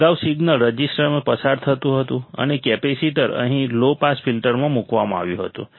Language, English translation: Gujarati, Earlier the signal was passing through the resistor, and the capacitor was placed here in the low pass filter